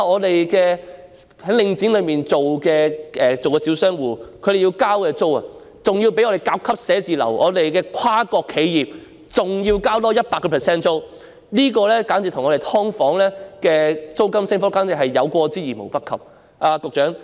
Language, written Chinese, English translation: Cantonese, 大家想想，在"領剪"商場經營的小商戶所繳交的租金，較本港甲級寫字樓、跨國企業支付的租金還要高出 100%， 這簡直與"劏房"的租金升幅有過之而無不及。, Come to think about this . The rent paid by small tenants operating in the shopping arcades under Link REIT Cut is higher than the rent of Grade A offices and paid by multinational corporations by 100 % . Such a rate of increase is definitely more rampant than the rent increase for subdivided units